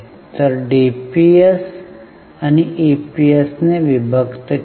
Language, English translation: Marathi, So it is DPS upon EPS